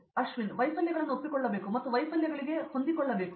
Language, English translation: Kannada, They should accept failures and they should adapt to the failures